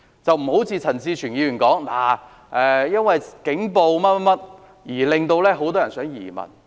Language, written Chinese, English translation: Cantonese, 這情況並不是像陳志全議員所說，是警暴令很多人想移民。, This is different from Mr CHAN Chi - chuens assertion that police brutality has prompted many people to consider emigration